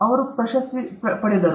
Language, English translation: Kannada, He got the Nobel prize